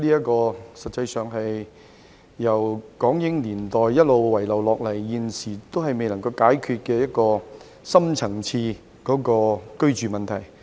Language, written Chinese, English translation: Cantonese, 這實際上是由港英年代一直遺留至今，始終未能解決的深層次居住問題。, This actually concerns the deep - seated housing problem which has been left unresolved since the British - Hong Kong era